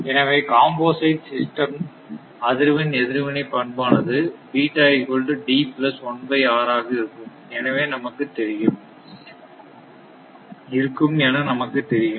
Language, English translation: Tamil, The compound is composite system frequency response characteristic is right